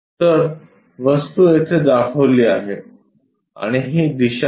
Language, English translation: Marathi, So, the object is shown here and the direction is this